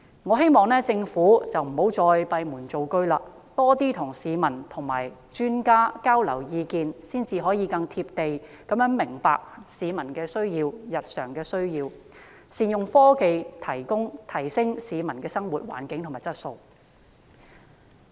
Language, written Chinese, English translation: Cantonese, 我希望政府不要再閉門造車，而應多與市民和專家交流意見，才能夠更"貼地"明白市民的日常需要，善用科技提升市民的生活環境和質素。, I hope that the Government will cease to work behind closed doors but have more communication with society and experts to better understand the daily needs of Hong Kong people and make good use of technology to enhance the living environment and quality of the public